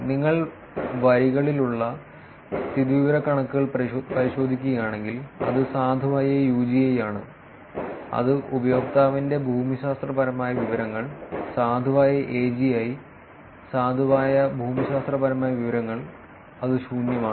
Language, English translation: Malayalam, And if you look at the statistics which are in the rows, it is valid UGI which is user geographic information, valid AGI, valid geographic information and that is empty